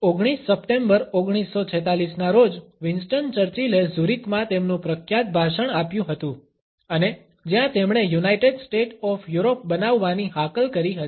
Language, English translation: Gujarati, On September 19, 1946, Winston Churchill had delivered his famous speech in Zurich and where he had called for the creation of a United State of Europe